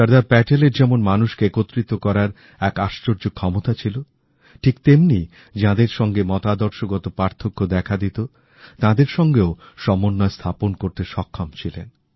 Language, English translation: Bengali, On the one hand Sardar Patel, possessed the rare quality of uniting people; on the other, he was able to strike a balance with people who were not in ideological agreement with him